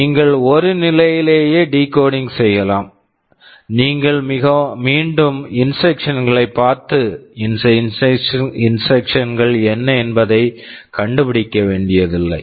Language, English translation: Tamil, You can decode in one stage itself, you do not have to again look at the instruction and try to find out what this instruction was ok